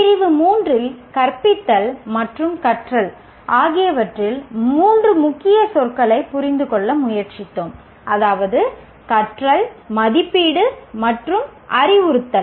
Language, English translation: Tamil, In Unit 3, we tried to the three key keywords in teaching and learning, namely the learning, assessment, and instruction